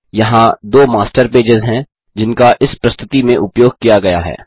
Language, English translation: Hindi, These are two Master Pages that have been used in this presentation